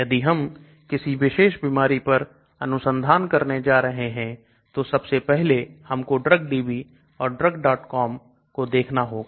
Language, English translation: Hindi, So if I am going to start a research on a particular disease first thing I will do is look at drugdb and drugs